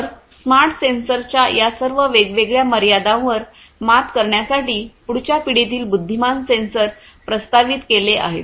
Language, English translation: Marathi, So, for overcoming all of these different limitations of smart sensors, next generation intelligent sensors have been proposed